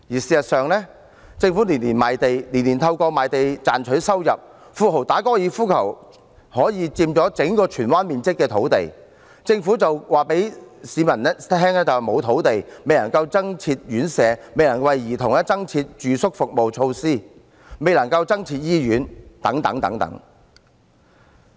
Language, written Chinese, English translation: Cantonese, 事實上，政府每年賣地，每年透過賣地賺取收入，富豪打高爾夫球可以佔用相當於整個荃灣面積的土地，政府卻告訴市民沒有土地，因此未能增設院舍，未能為兒童增設住宿服務設施，未能增設醫院等。, As a matter of fact the Government sells land and reaps huge revenues every year . The golf course for the rich can occupy a site as big as Tsuen Wan but the Government tells people there is no land for building more residential homes additional facilities for residential child care services or more hospitals